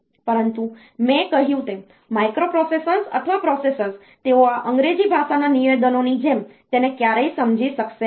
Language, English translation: Gujarati, But, as I said, that microprocessors or processors, they will never understand this English like language statements